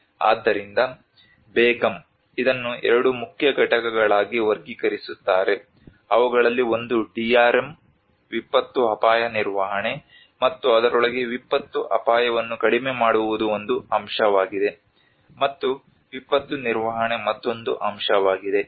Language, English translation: Kannada, So Begum categorizes this into two main components one is DRM disaster risk management and within which the disaster risk reduction is one of the component, and the disaster management is another component